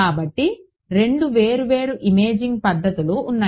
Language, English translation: Telugu, So, there are two different imaging modalities right